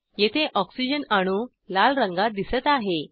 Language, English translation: Marathi, Oxygen atom is seen in red color here